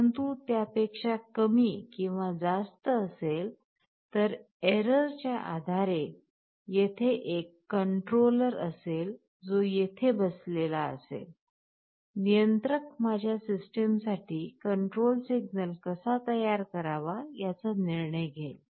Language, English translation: Marathi, But depending on the error whether it is less than or greater than, there will be a controller which will be sitting here, controller will take a decision that how to generate a control signal for my system